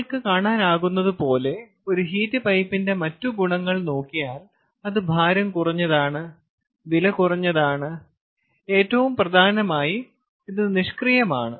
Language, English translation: Malayalam, ok, the other advantages of heat pipe, as you can see, as its light is reliable, its cheap and, more importantly, its passive we are talking about